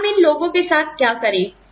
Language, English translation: Hindi, What do we do, with these people